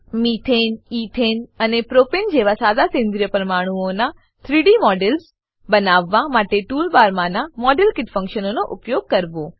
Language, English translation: Gujarati, * Use the Modelkit function in the Tool bar to create 3D models of simple organic molecules like Methane, Ethane and Propane